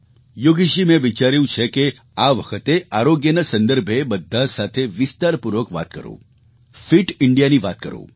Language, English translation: Gujarati, Yogesh ji, I feel I should speak in detail to all of you on 'Fit India'